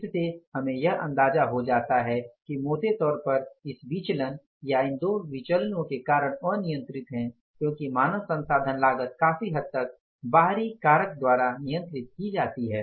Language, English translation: Hindi, So, this gives us an idea that largely the reasons for this variance or these two variances are uncontrollable because human resource cost is largely controlled by the external factor and those external factors are labour market